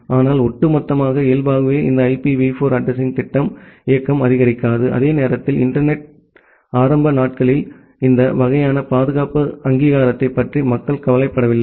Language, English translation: Tamil, But overall, by default this IPv4 addressing scheme that does not support mobility and at the same time during the early days of the internet people was not bothered about security authentication this kind of aspect too much